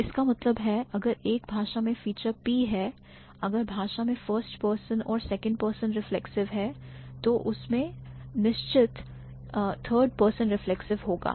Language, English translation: Hindi, So, that means if a language has a feature P, if the language has first person and second person reflexive, it will definitely have the third person reflexive